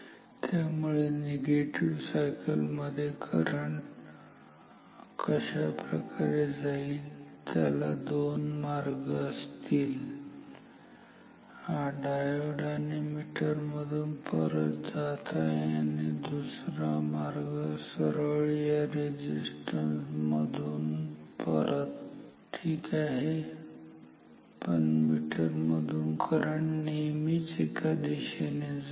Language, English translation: Marathi, So, in the negative cycle that other cycle current is going like this, it has two paths through the this is through the diode and the meter its going back and it has another path which is like this, it goes directly through this resistance and back ok, but through the meter current is always unidirectional